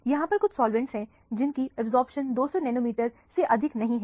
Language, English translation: Hindi, There are certain solvents which do not have absorption above 200 nanometer or so